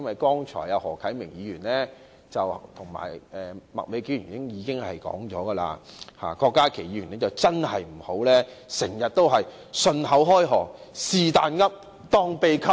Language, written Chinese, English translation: Cantonese, 剛才何啟明議員及麥美娟議員已就《條例草案》發言，因此郭家麒議員真的不要時常信口開河，"是但噏，當秘笈"。, Just now we had speeches from Mr HO Kai - ming and Ms Alice MAK on the Bill; Dr KWOK Ka - ki should hence stop talking nonsense and making reckless statements